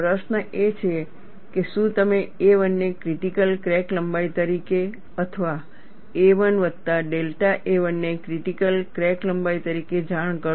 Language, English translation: Gujarati, The question is, would you report a 1 as a critical crack length or a 1 plus delta a 1 as a critical crack length